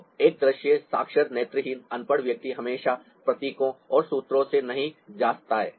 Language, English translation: Hindi, so a visual literate, visually illiterate person doesn't go by symbols and formulas always